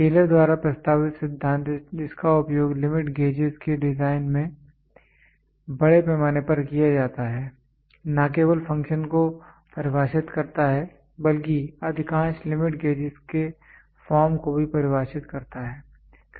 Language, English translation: Hindi, The theory proposed by Taylor which is extensively used in the designing of limit gauges, not only defines the function, but also defines the form of most limit gauges